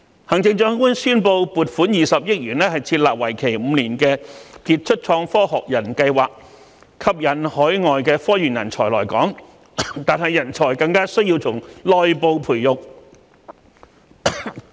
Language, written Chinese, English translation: Cantonese, 行政長官宣布撥款20億元設立為期5年的傑出創科學人計劃，吸引海外科研人才來港，但我們更需要在內部培育人才。, The Chief Executive announced the allocation of 2 billion for launching the five - year Global STEM Professorship Scheme to attract overseas research and development talents to Hong Kong . And yet there is a stronger need to cultivate local talents